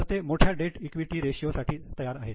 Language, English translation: Marathi, So, they are willing to go for a higher debt equity ratio